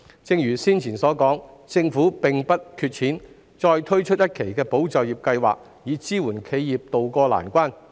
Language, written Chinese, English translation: Cantonese, 正如我剛才所說，政府並不缺錢，絕對有能力再推出一期"保就業"計劃，支援企業渡過難關。, As I have just mentioned the Government does not lack money and is certainly capable of rolling out another tranche of ESS to tide enterprises over the hard times